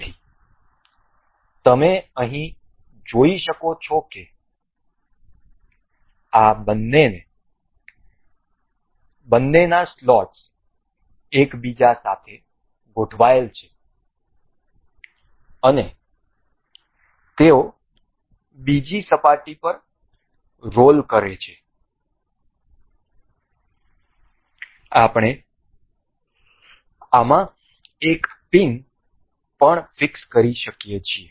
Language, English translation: Gujarati, So, here you can see the slots of both of these are aligned to each other and they roll over other surface, we can also fix a pin into this